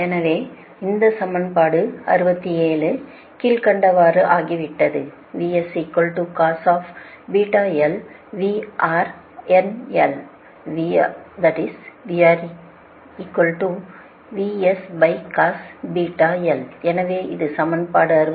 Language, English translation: Tamil, so in equation this is actually equation sixty five